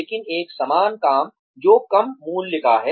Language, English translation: Hindi, But, a similar job, that is of lesser value